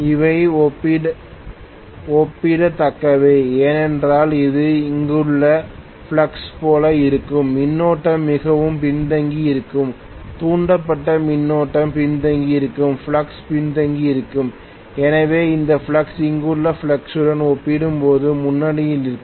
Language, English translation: Tamil, They are comparable because of which it will look as though the flux here, because the current will be more lagging, the flux induced current will be lagging, flux will be lagging so this flux right this flux is going to be leading as compared to the flux here